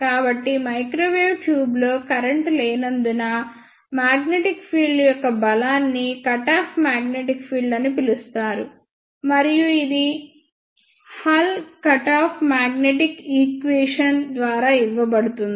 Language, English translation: Telugu, So, the strength of magnetic field, after which there is no current in the microwave tube it is called as cut off magnetic field and that is given by hull cut off magnetic equation